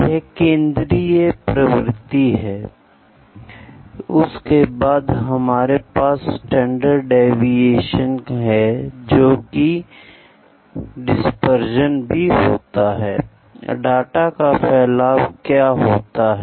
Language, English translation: Hindi, Central tendency then we have standard deviation that is dispersion, how